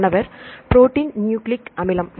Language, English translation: Tamil, Protein nucleic acid